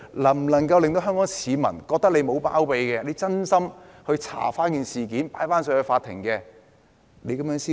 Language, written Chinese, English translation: Cantonese, 能否令香港市民覺得她沒有包庇，是真心調查事件，將會提交法庭？, Can Hong Kong people be convinced that she is not shielding and she sincerely wants to conduct an investigation and being the case to court?